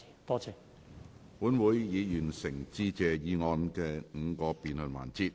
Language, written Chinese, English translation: Cantonese, 本會已完成致謝議案的5個辯論環節。, The five debate sessions on the Motion of Thanks end